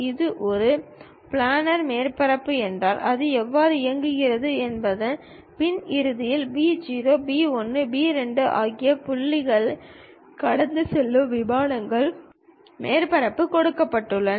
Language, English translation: Tamil, If it is a planar surface, the back end how it works is; a plane surface that passes through three points P 0, P 1, P 2 is given